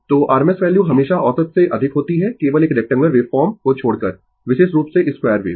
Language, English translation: Hindi, So, rms value is always greater than average except for a rectangular wave form right particularly square wave